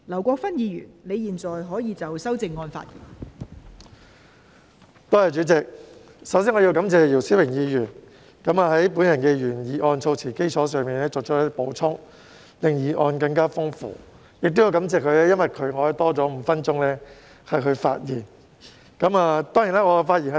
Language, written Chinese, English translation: Cantonese, 代理主席，首先我要感謝姚思榮議員以我的原議案措辭為基礎作出補充，令議案更加豐富。我亦要感謝他，因為他令我有多5分鐘發言時間。, Deputy President first of all I would like to thank Mr YIU Si - wing for supplementing the wording of my original motion to enrich its content and also for enabling me to speak for another five minutes